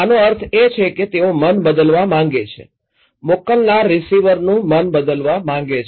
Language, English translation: Gujarati, That means they want to change the mind, senders wants to change the mind of receiver’s